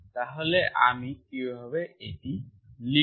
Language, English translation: Bengali, So how do I write this